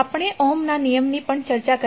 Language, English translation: Gujarati, We also discussed the Ohm’s Law